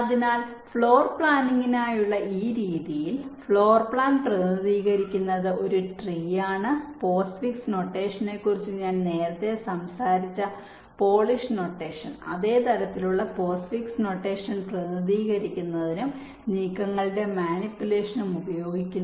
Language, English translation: Malayalam, ok, so so in this method for floor planning, the floor plan is represented by a tree and the polish notation that i talked about earlier, that postfix notation, that same kind of postfix notation, is used for representation and also for manipulation of the moves